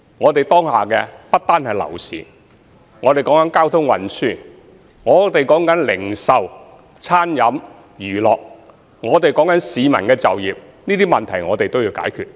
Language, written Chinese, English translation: Cantonese, 我們當下的問題不單是樓市，還有交通運輸、零售、餐飲和娛樂等問題，更有市民就業的問題，這些問題都必須解決。, Right now not only the property market is fraught with problems our transport retail catering and entertainment industries are also in distress not to mention the unemployment issue . All these problems must be solved